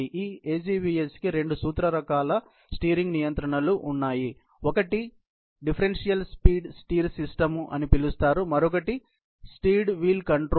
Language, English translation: Telugu, There are two principle types of steering controls that this AGVS has; one is called the differential speed steer system and another is the steered wheel control